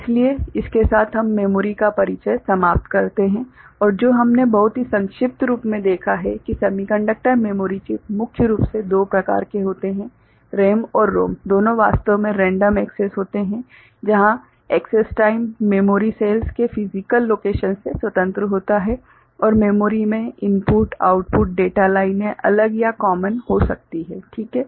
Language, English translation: Hindi, So, with this we conclude the introduction to memory and what we have seen very briefly that semiconductor memory chips are primarily of two types, RAM and ROM both are actually random access, where the access time is independent of physical location of the memory cells and input output data lines to memory can be separate or common, ok